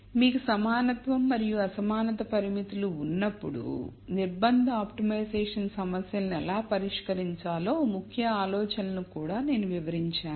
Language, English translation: Telugu, I have also described the key ideas behind how to solve constrained optimization problems when you have equality and inequality constraints